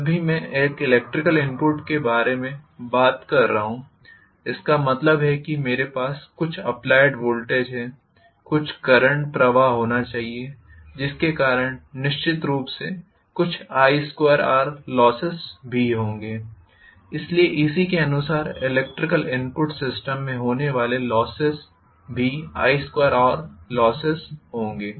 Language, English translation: Hindi, Whenever I am talking about an electrical input, that means I have certain voltage applied, there should be some current flowing, because of which there will be definitely some i square R losses as well, so correspondingly the losses in electrical input system will be i square R losses